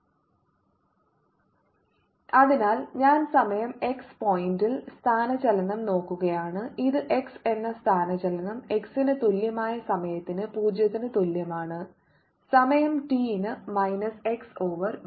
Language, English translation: Malayalam, so i am looking at displacement at point x at time t, it is going to be equal to what the displacement was at x equals zero at time t, minus x minus v